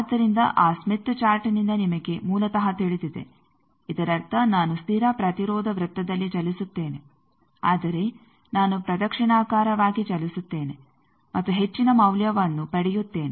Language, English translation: Kannada, So, from that smith chat you know basically that means, I will move on the constant resistance circle, but I will move clockwise and get a higher value of reactance